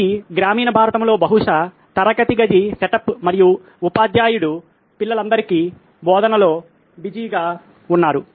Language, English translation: Telugu, This is a classroom setup probably in rural India and the teacher is busy teaching to all the children